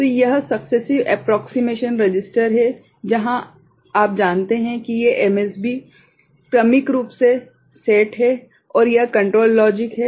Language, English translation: Hindi, So, this is the successive approximation register where these you know these MSBs are successively set and this is the control logic